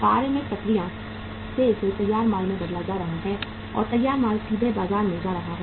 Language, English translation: Hindi, From the work in process it being converted to finished goods and straightaway the finished goods are going to the market